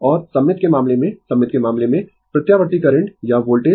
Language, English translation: Hindi, And in case of symmetrical, in case of symmetrical, alternating current or voltage right